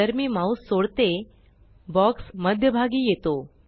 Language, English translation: Marathi, As I release the mouse, the box gets moved to the centre